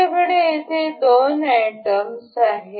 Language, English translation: Marathi, We here have two items